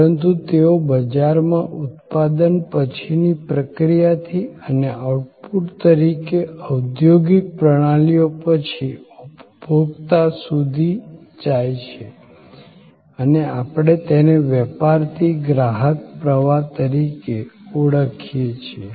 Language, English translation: Gujarati, But, post manufacturing process, post industrial systems as outputs, they go to the consumer through the market and we call it as the business to consumer stream